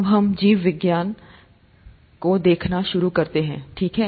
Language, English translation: Hindi, Now, let us start looking at “Biology”, okay